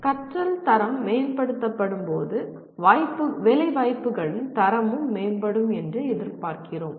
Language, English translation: Tamil, When quality of learning is improved we expect the quality of placements will also improve